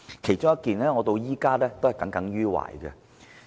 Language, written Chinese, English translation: Cantonese, 有一件事我到現在仍耿耿於懷。, There is one incident that I have taken to heart